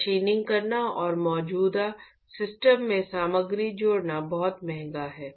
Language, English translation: Hindi, It is very expensive to do machining and add materials to an existing system